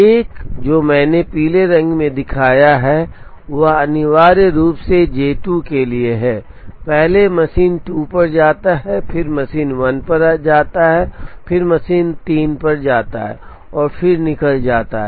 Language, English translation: Hindi, What I have shown in yellow essentially stands for J 2, first visits machine 2 then visits machine 1, then visits machine 3 and then leaves